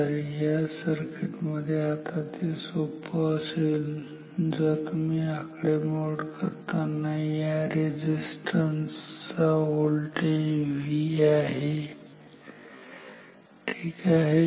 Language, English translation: Marathi, So, for this circuit say now the it is easier if you to start our calculation as you mean the voltage across the resistance to be V ok